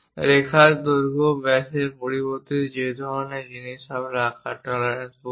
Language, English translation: Bengali, In terms of lines lengths diameter that kind of thing what we call size tolerances